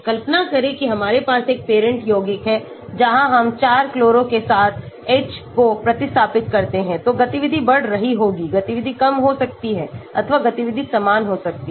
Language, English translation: Hindi, imagine we have a parent compound where we replace the H with 4chloro, so the activity may be increasing, activity may be decreasing, or the activity may be same